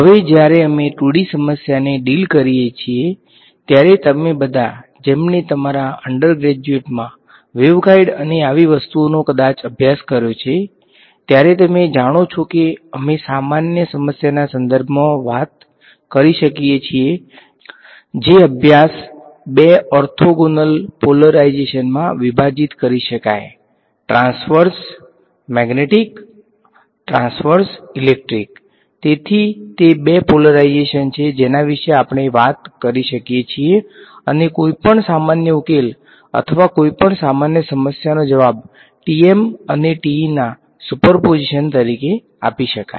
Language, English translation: Gujarati, Now, when we deal with a 2D problem all of you who have probably studied wave guides and such things in your undergrad, you know that we can talk in terms of a general problem can be studied broken up in to a two orthogonal polarizations, transverse magnetic , transverse electric right